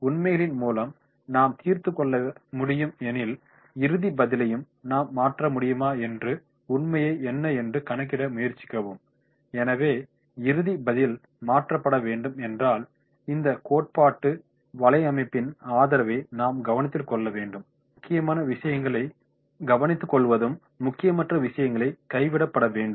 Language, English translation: Tamil, As we can sort out through the facts, what about the fact and try to calculate if we think if we may change the final answer, so if final answer is to be change then the support of this theoretical network that is to be taken care of, the important points are to be covered and unimportant points are to be left